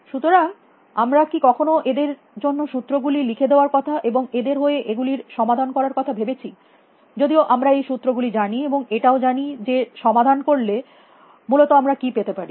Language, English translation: Bengali, So, can we ever hope to write down the equations for them and solve them even if we know the equations and what would we get if we solve them especially